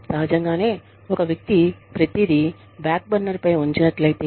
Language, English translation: Telugu, Obviously, if a person, has put everything, on a backburner